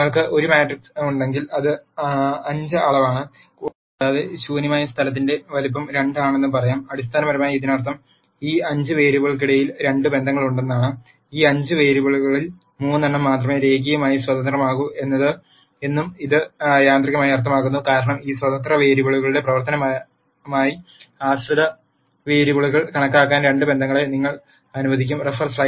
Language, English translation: Malayalam, If you have a matrix which is of dimension 5 and let us say the size of null space is 2,then this basically means that there are 2 relationships among these 5 variables, which also automatically means that of these 5 variables only 3 are linearly independent because the 2 relationships would let you calculate the dependent variables as a function of these independent variables